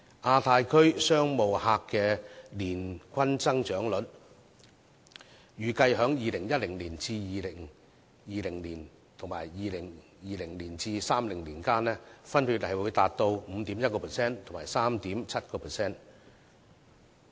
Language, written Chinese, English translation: Cantonese, 亞太區商務客的年均增長率，預計在2010年至2020年及2020年至2030年間，分別達 5.1% 和 3.7%。, It is estimated that the annual growth of business travellers from the Asia Pacific region is 5.1 % and 3.7 % for 2010 - 2020 and 2020 - 2030 respectively